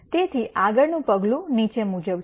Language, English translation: Gujarati, So, the next step is the following